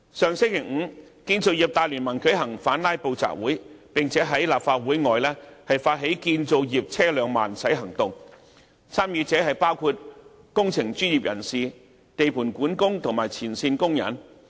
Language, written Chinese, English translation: Cantonese, 上星期五，建造業大聯盟舉行反"拉布"集會，並在立法會外發起"建造業車輛慢駛行動"，參與者包括工程專業人士、地盤管工和前線工人。, Last Friday the Construction Industry Alliance staged an Anti - Filibuster Rally and construction vehicles took part in a slow - drive protest outside the Legislative Council Complex . The participants of these movements included engineering professionals site foremen and front - line workers